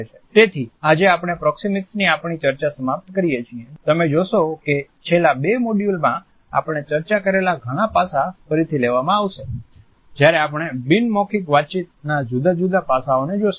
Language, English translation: Gujarati, So, today we have finished our discussion of proxemics, you would find that many aspects which we have discussed in the last two modules would be taken over again when we will look at different other aspects of non verbal communication